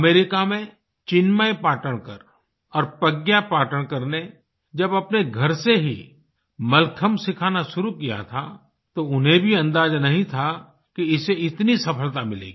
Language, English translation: Hindi, When Chinmay Patankar and Pragya Patankar decided to teach Mallakhambh out of their home in America, little did they know how successful it would be